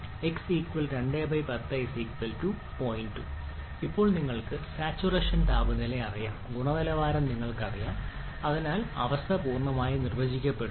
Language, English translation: Malayalam, 2 so now you know the saturation temperature and you know the quality and therefore the state is completely defined